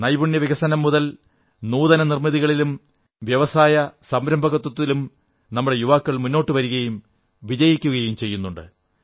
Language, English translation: Malayalam, Our youth are coming forward in areas like skill development, innovation and entrepreneurship and are achieving success